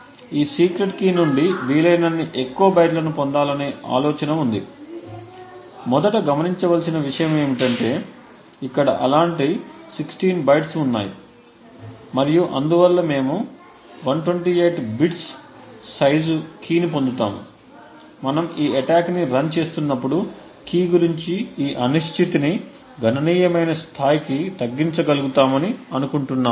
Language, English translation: Telugu, The idea is to get as many bytes as possible from this secret key, the first think to note is that there 16 such bytes over here and therefore we would obtain a key size of 128 bits, the hope is that when we run this attack we would be able to reduce this uncertainty about the key to a significant level